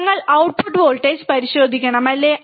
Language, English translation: Malayalam, We have to check the output voltage, right isn't it